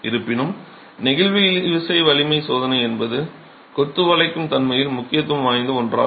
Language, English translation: Tamil, However, the flexual tensile strength test is something that is of significance in bending behavior of masonry